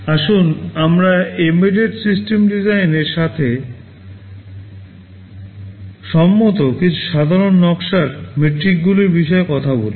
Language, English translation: Bengali, Let us talk about some of the common design metrics with respect to an embedded system design